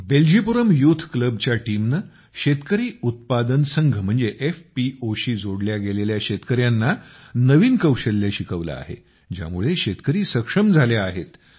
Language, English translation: Marathi, The team of 'Beljipuram Youth Club'also taught new skills to the farmers associated with Farmer ProducerOrganizations i